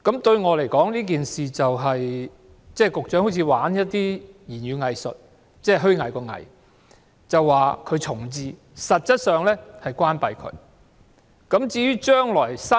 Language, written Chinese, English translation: Cantonese, 對我來說，局長好像在玩語言"偽術"——虛偽的"偽"，說學校會重置，實質上卻是關閉學校。, To me the Secretary seems to be playing with words reminiscent of hypocrisy . He said the school would be reprovisioned but actually it would be closed down